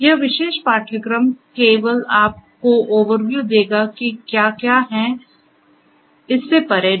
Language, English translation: Hindi, This particular course is scoped only to give you an overview of what is what, not beyond that right